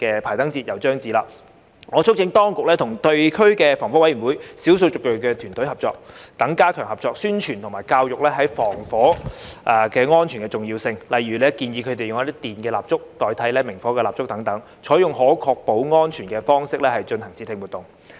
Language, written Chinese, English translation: Cantonese, 排燈節又將至，我促請當局與地區防火委員會及少數族裔的團隊等加強合作，宣傳及教育防火安全的重要性，例如建議他們使用一些電蠟燭代替明火蠟燭等，採用可確保安全的方式進行節慶活動。, As Diwali is approaching again I urge the authorities to strengthen cooperation with the District Fire Safety Committees and ethnic minority teams etc . to organize promotional and educational activities on the importance of fire safety . For example suggestions can be given to ethnic minorities to use electric candles instead of burning candles so as to ensure that their festive activities can be conducted in a safe way